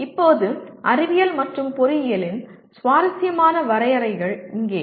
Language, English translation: Tamil, Now, here is an interesting definitions of Science and Engineering